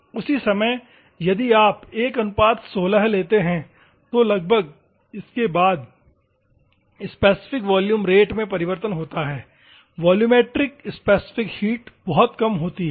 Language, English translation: Hindi, At the same time, if you take 16, so it is approximately after 16 there is change in specific volume rate; volumetric specific heat is very less